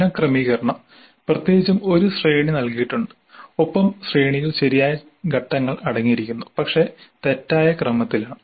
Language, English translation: Malayalam, Then rearrangements, particularly a sequence is given and the sequence contains the right steps but in wrong order